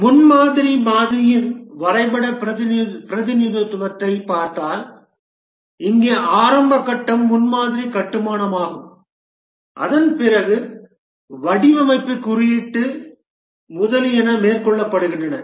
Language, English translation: Tamil, If we look at the diagrammatic representation of the prototyping model, the initial phase here is prototype construction and after that the design, coding, etc